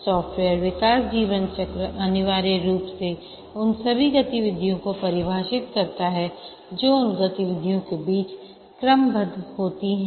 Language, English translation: Hindi, The software development lifecycle essentially defines all the activities that are carried out and also the ordering among those activities